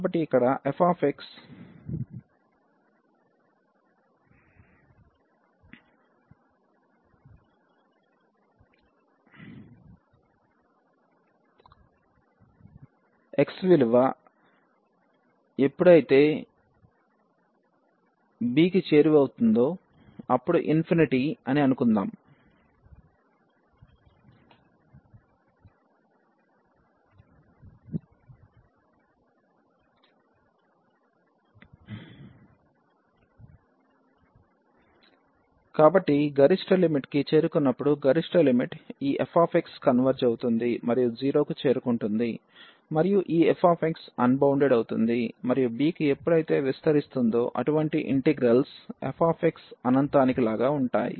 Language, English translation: Telugu, So, here this suppose this f x is infinity as x tending to b; so, the upper limit when x is approaching to upper limit this f x is converging to is going to 0 is becoming unbounded and for such type of integrals when this f x is approaching to infinity as extending to b